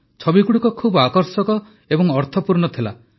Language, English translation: Odia, Pictures were very attractive and very meaningful